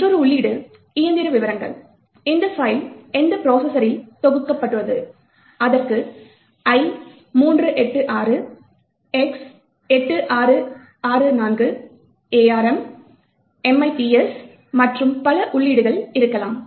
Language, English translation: Tamil, Another entry is the Machine details, which processor was this particular file compiled for, it could have entries like i386, X86 64, ARM, MIPS, and so on